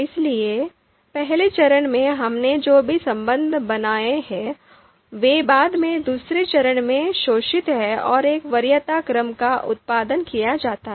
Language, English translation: Hindi, So whatever outranking relation that we have constructed in the first phase, they are later on exploited in the second stage and a preference order is produced